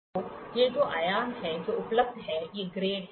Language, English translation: Hindi, So, these are the dimensions which are available, these are the grades